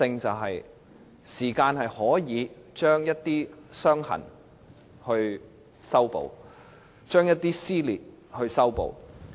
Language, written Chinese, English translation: Cantonese, 時間可以把一些"傷痕"修補，把一些撕裂修補。, Time can heal some scars so can it repair some dissensions